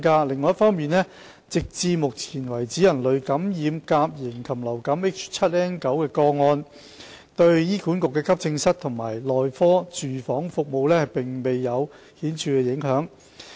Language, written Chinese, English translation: Cantonese, 另一方面，直至目前，人類感染甲型禽流感 H7N9 的個案對醫管局的急症室及內科住院服務並未有顯著影響。, On the other hand human infection cases of avian influenza A H7N9 have no significant impact on the inpatient services of the AE and medicine departments so far